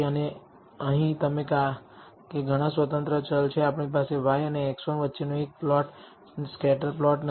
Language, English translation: Gujarati, And here you because there are several independent variables we have not just one plot scatter plot between y and x 1